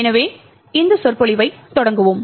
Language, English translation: Tamil, So, let us start this lecture